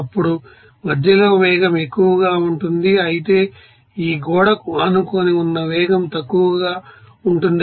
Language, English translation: Telugu, Now, at the center that velocity will be higher, whereas at this you know adjacent to this wall the velocity will be lower